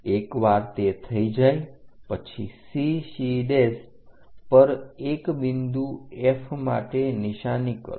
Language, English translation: Gujarati, Once it is done mark a point F on CC prime